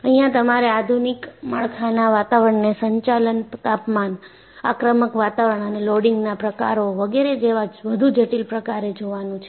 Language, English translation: Gujarati, See, you have to look at, the modern structural environment is much more complex in terms of operating temperatures, aggressive environments and types of loading, etcetera